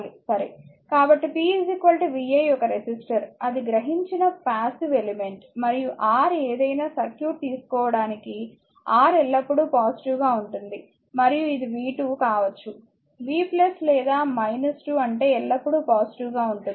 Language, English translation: Telugu, So, p is equal to vi a resistor is a passive element it absorbed power, and R is always positive for any circuit you take R is positive, and it is v square whatever may be the v plus or minus is square means always positive